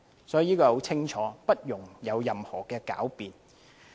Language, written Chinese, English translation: Cantonese, 這是很清楚的，不容任何狡辯。, It is crystal clear without any room for sophistry